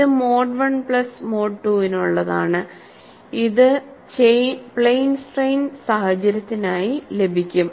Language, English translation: Malayalam, This is for mode 1 plus mode 2 and this is obtained for plane strain situation